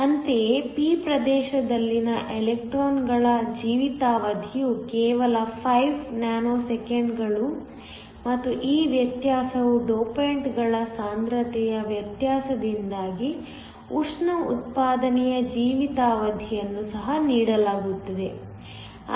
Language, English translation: Kannada, Similarly, the life time of the electrons in the p region is only 5 nanoseconds and this difference is because of the difference in concentration of the dopants, the thermal generation life time is also given